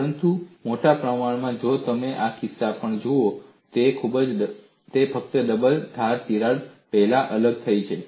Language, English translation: Gujarati, In fact, by enlarge if you look at even in this case, it is only the double edge crack has got separated first